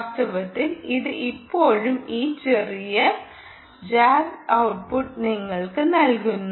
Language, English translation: Malayalam, ah, in fact, it is still giving you this little jagged output